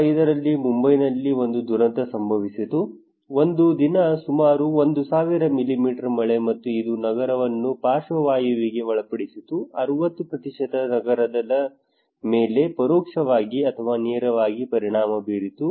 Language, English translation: Kannada, In 2005 there was a catastrophic disaster in Mumbai, one day 1000 almost 1000 millimetre of rainfall and it paralyzed the city, 60% of the city were indirectly or directly affected okay